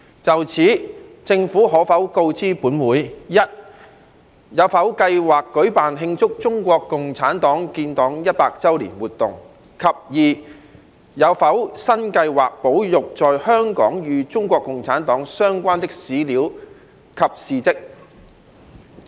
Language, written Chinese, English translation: Cantonese, 就此，政府可否告知本會：一有否計劃舉辦慶祝中國共產黨建黨一百周年活動；及二有否新計劃保育在香港與中國共產黨相關的史料及事蹟？, In this connection will the Government inform this Council 1 whether it has plans to organize events to celebrate the 100th anniversary of the founding of CPC; and 2 whether it has new plans to preserve the historical materials and facts related to CPC in Hong Kong?